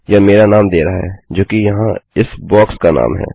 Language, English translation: Hindi, It is giving my name, which is the name of this box here